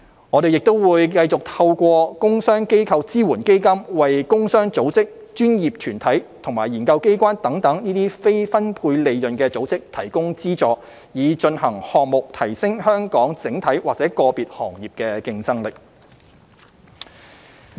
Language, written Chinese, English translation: Cantonese, 我們亦會繼續透過"工商機構支援基金"為工商組織、專業團體及研究機關等非分配利潤組織提供資助，以進行項目提升香港整體或個別行業的競爭力。, We will also continue to provide funding support to non - profit - distributing organizations such as trade and industrial organizations professional bodies and research institutes through the Trade and Industrial Organisation Support Fund to implement projects aiming at enhancing the competitiveness of Hong Kong enterprises in general or in specific sectors